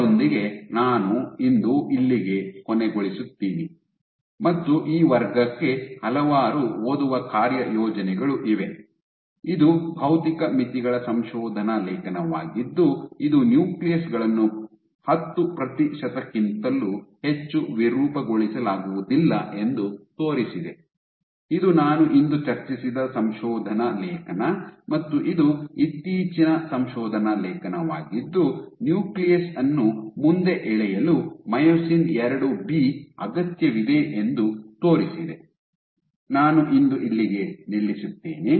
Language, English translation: Kannada, with that I end here today, and there be several reading assignments for this class, this was the physical limits paper which showed that the nuclei cannot be deformed beyond 10 percent, this was the paper which I discussed today just now, and this is a recent paper which showed that myosin II B is required for pulling the nucleus forward with that I stopped it today